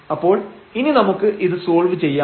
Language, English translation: Malayalam, So, now, we can solve this